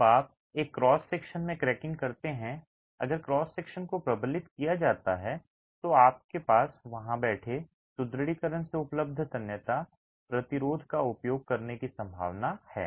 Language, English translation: Hindi, When you have cracking in a cross section if the cross section is reinforced you have the possibility of using the tensile resistance available from the reinforcement that is sitting there